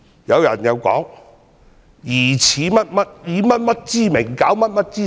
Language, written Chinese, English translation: Cantonese, 有人說，疑似以甚麼之名，攪甚麼之實。, There are sayings that some actions were taken under certain pretext